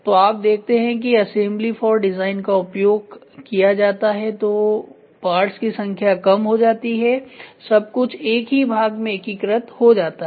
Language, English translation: Hindi, So, you see design for assembly is used number of parts are reduced everything is got integrated into single part